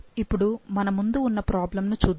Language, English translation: Telugu, Now, let's look into the problem which was before us